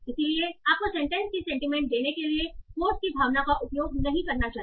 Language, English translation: Hindi, So you should not use the sentiment of the quotes to give the sentiment of the sentence